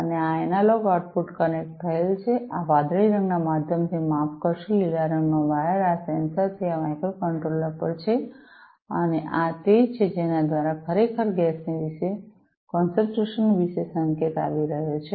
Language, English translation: Gujarati, And this analog output is connected, through this blue colored where sorry the green colored wired from this sensor to this microcontroller and this is the one through which actually the signal about the gas concentration is coming